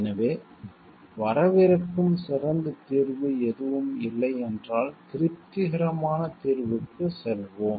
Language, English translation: Tamil, So, if there is no one solution which is coming up we will go for a satisficing solution